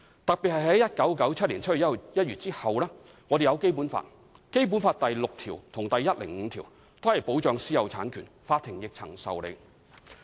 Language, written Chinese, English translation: Cantonese, 特別是在1997年7月1日後，我們有《基本法》，《基本法》第六條及第一百零五條均保障私人產權，法庭亦曾受理"。, This is particularly so after 1 July 1997 for private ownership of property is protected under Articles 6 and 105 of the Basic Law and the Court will grant leave for relevant litigations